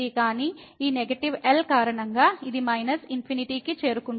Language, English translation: Telugu, But because of this negative , this will approach to minus infinity